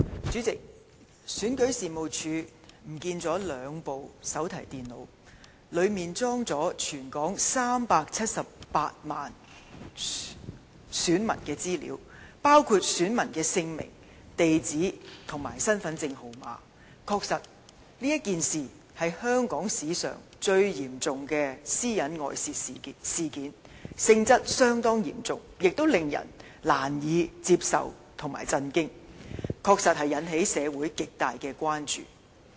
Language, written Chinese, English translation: Cantonese, 主席，選舉事務處遺失兩部手提電腦，當中載有全港378萬名選民資料，包括姓名、地址和身份證號碼，確是全港史上最嚴重的私隱外泄事件，性質相當嚴重，亦令人難以接受，感到震驚，確實引起社會極大關注。, President the Registration and Electoral Office REO has lost two notebook computers containing the personal data of 3.78 million electors of Hong Kong including their names addresses and identity card numbers . It is indeed the most serious data breach incident in the history of Hong Kong . It is a serious incident one which is unacceptable and shocking and has indeed aroused grave public concern